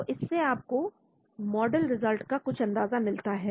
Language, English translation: Hindi, So this gives you some idea about the model results